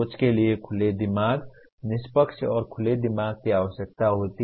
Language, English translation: Hindi, Thinking requires open mind, a fair and open mind